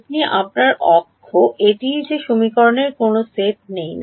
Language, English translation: Bengali, This is your A x this is that set there is no other set of equations